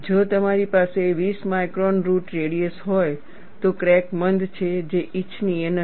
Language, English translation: Gujarati, If we have 20 micron root radius, the crack is blunt, which is not desirable